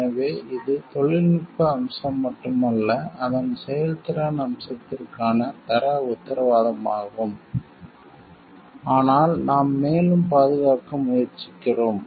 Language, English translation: Tamil, So, it is not only the technical aspect and its quality assurance for it is performance aspect, but we are also trying to protect further